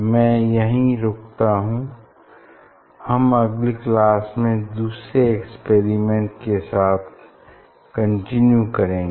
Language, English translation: Hindi, I think I will stop here we will continue next class for other experiment